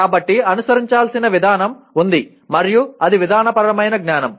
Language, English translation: Telugu, So there is a procedure to be followed and that is procedural knowledge